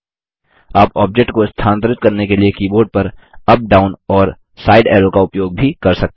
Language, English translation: Hindi, You can also use the up, down and side arrow keys on the keyboard to move an object